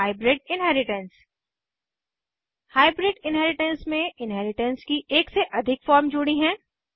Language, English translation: Hindi, and Hybrid inheritance In hybrid inheritance more than one form of inheritance is combined